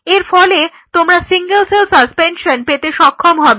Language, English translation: Bengali, So, you have a single cell suspension in a medium